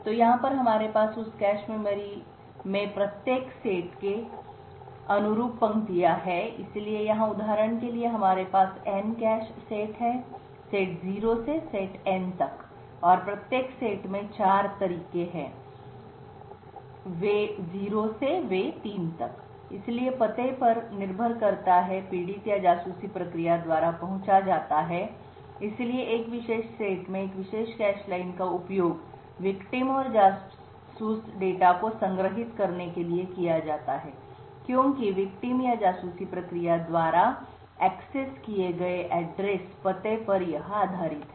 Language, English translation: Hindi, So over here we have rows corresponding to each set in that particular cache memory, so here for example we have N cache sets going from set 0 to set N and each set has 4 ways, way 0 to way 3, so depending on the address that is accessed by the victim or the spy process so one particular cache line in a particular set is used to store the victim and the spy data